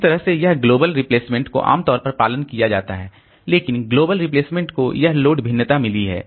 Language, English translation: Hindi, So, that way this global replacement is generally followed, but global replacement has got this load variation